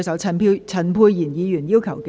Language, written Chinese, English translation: Cantonese, 陳沛然議員要求點名表決。, Dr Pierre CHAN has claimed a division